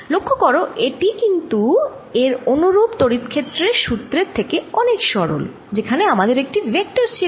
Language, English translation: Bengali, notice that this is simpler than the corresponding formula for the electric field, where we had a vector